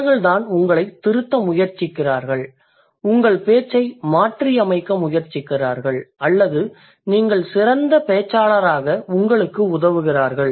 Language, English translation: Tamil, So that's these are the these are the people who try to correct you, they try to modify your speech or they try to they help you to be a better speaker